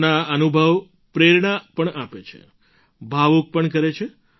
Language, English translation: Gujarati, Her experiences inspire us, make us emotional too